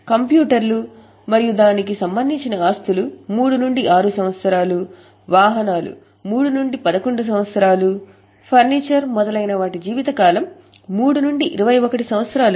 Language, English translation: Telugu, Computers and IT related assets is 3 to 6 years, vehicles 3 to 11 years, furniture fixtures 3 to 21 years